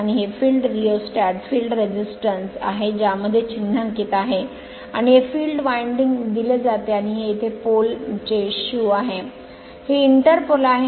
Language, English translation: Marathi, And this is the field rheostat field resistance this way it has been symbolized and this is the field winding it is given right and this is pole shoe here, this is inter pole